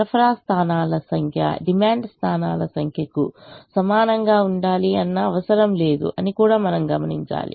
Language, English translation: Telugu, we should also note that it is not necessary that the number of supply points should be equal to the number of demand points